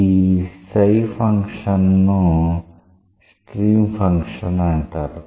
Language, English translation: Telugu, What is the speciality about a stream function